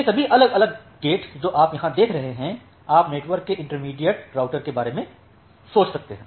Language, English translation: Hindi, So, all these different gates that you are observing here you can think of a intermediate routers of the network